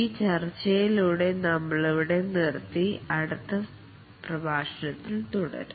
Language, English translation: Malayalam, With this discussion, we'll just stop here and continue in the next lecture